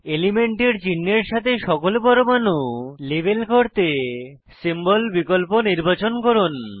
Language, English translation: Bengali, Select Symbol option to label all the atoms with the symbol corresponding to the element